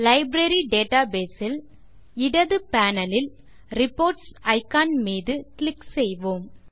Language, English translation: Tamil, In the Library database, let us click on the Reports icon on the left panel